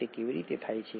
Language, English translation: Gujarati, How does that happen